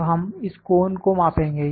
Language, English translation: Hindi, Now, we will measure this cone